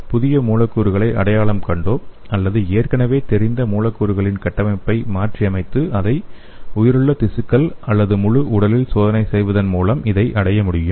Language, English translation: Tamil, By identifying new molecules or modifying the structure of the known molecules and testing these in the biological tissue or the whole body